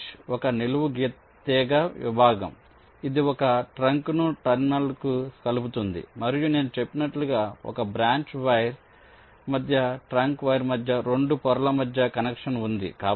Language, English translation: Telugu, branch is a vertical wire segment that connects a trunk to a terminal and, as i said, via is a connection between two layers, between a branch wire, between a trunk wire